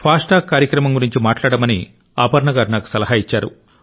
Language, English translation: Telugu, Aparna ji has asked me to speak on the 'FASTag programme'